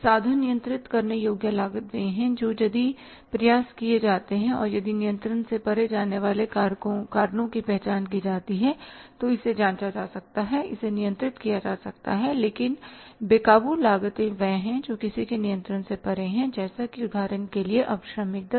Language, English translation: Hindi, It means controllable costs are which if the efforts are made and if the cause of cost going beyond control is identified, it can be checked, it can be controlled but uncontrollable costs are the ones which are beyond the control of anybody as I was sharing with you that for example now the labour rates